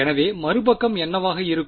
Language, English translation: Tamil, So, the other side will be what